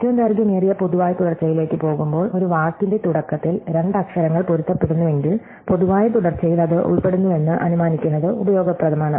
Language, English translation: Malayalam, So, going back to longest common subsequence, it says that if two letters match at the beginning of a word, then it is useful to assume that the common subsequence includes that